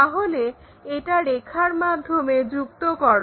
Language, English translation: Bengali, So, we show it by dashed lines